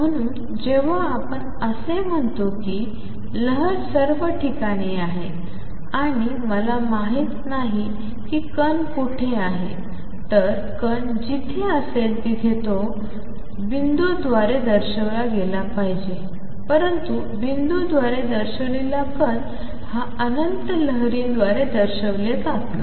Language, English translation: Marathi, So, when we say that there is a wave all over the place, and I do not know where the particle is located which should have been somewhere here where are show it by the dot, let dot put out says the particle as actually when is moving it is not represented by infinite train of wave